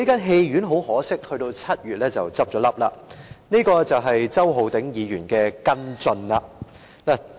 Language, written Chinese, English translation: Cantonese, 很可惜，戲院在7月便已結業，這便是周浩鼎議員的跟進。, Regrettably the cinema closed down in July . This is how Mr Holden CHOW followed it up